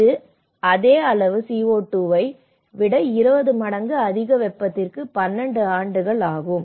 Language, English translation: Tamil, So, this takes about 12 years over 20 times more heat than the same amount of CO2